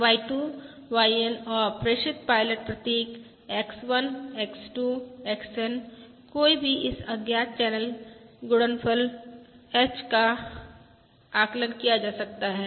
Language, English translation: Hindi, from the observations Y1, Y2… YN and the transmitted pilot symbols X1, X2… XN, one can estimate this unknown channel coefficient H